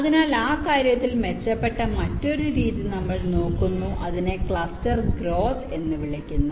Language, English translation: Malayalam, ok, so we look at another method which is better in that respect, and we call it cluster growth